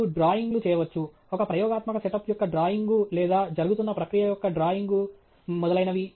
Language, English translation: Telugu, You can make drawings; drawings of an experimental setup or drawing of a flow that is happening etcetera